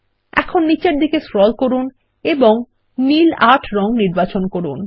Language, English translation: Bengali, Lets scroll down and select the color Blue 8